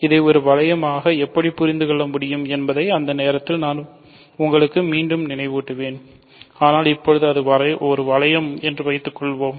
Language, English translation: Tamil, So, at that point I will remind you again how to think of this as a ring, but for now suppose that it is a ring